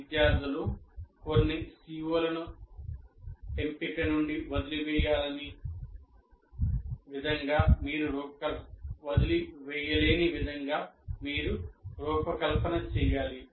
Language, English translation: Telugu, You have to design in such a way the students cannot leave certain CIVOs out of the choice